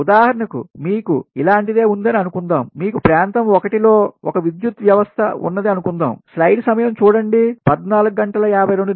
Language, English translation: Telugu, for example, suppose you have, suppose you have this is one power system, say area one